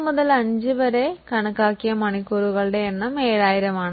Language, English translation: Malayalam, In year 3 to 5 to 5, the estimated number of hours are 7,000